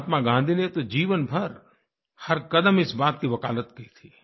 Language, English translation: Hindi, Mahatma Gandhi had advocated this wisdom at every step of his life